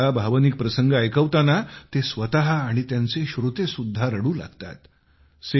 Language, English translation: Marathi, Sometimes while relating to an emotional scene, he, along with his listeners, cry together